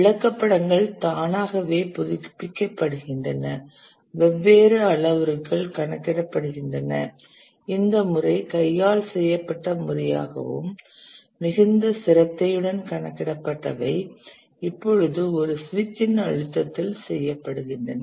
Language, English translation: Tamil, The charts are automatically updated, different parameters are computed, so what used to be once computed manually and very painstakingly now can be done at the press of a switch